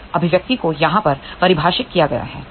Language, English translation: Hindi, That is defined by this expression over here